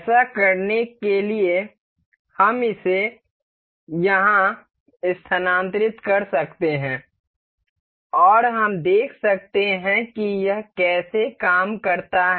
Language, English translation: Hindi, To do this, we can move this here and we can see how it works